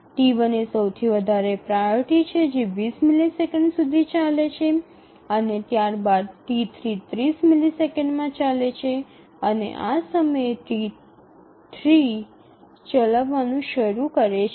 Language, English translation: Gujarati, T1 is the highest priority that runs for 20 and then T2 runs for 30 and at this point T3 can start to run